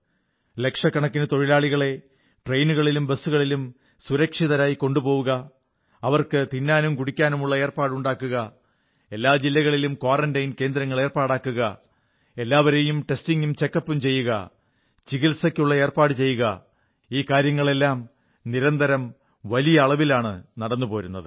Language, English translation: Malayalam, Safely transporting lakhs of labourers in trains and busses, caring for their food, arranging for their quarantine in every district, testing, check up and treatment is an ongoing process on a very large scale